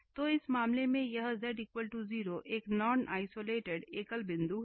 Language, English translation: Hindi, So, in this case this z equal to 0 is a non isolated singular point